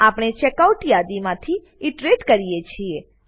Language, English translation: Gujarati, We iterate through the Checkout list